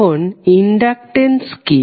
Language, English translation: Bengali, Now, inductance is what